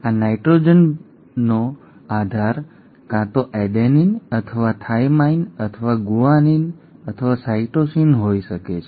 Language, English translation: Gujarati, Now this nitrogenous base could be either an adenine or a thymine or a guanine or a cytosine